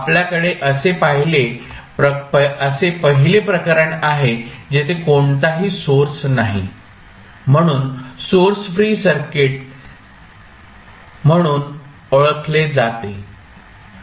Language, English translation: Marathi, So we have the first case where you do not have any source, so called as source free circuits